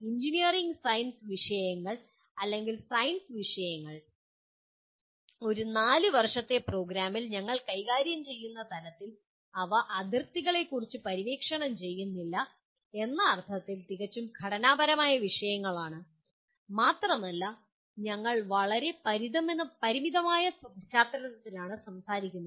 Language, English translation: Malayalam, The engineering science subjects or science subjects; the way at the level at which we are handling in a 4 year program they are fairly structured subjects in the sense we are not exploring on the frontiers and we are also talking about in very very narrow context